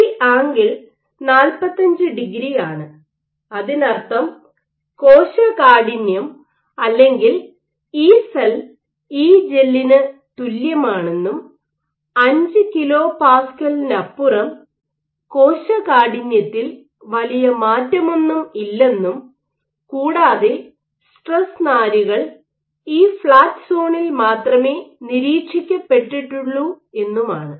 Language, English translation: Malayalam, So, this angle was 45 degree which meant that cell stiffness or Ecell is equal to Egel and beyond 5 kPa, the cell stiffness did not change much, but stress fibres were only observed in this flat zone